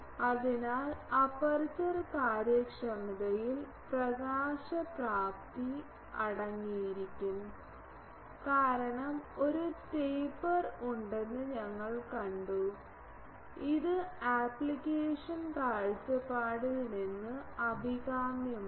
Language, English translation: Malayalam, So, aperture efficiency will comprise of illumination efficiency because, we have seen that there is a taper and it is desirable from the application point of view